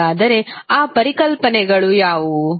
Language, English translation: Kannada, So, what are those concepts